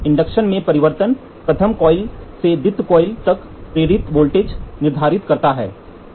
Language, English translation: Hindi, The change in inductance determines the voltage induced from the primary coil to the secondary coil